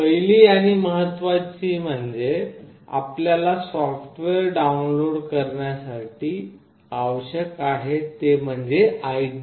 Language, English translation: Marathi, The first and foremost thing is that you need to download the software, the IDE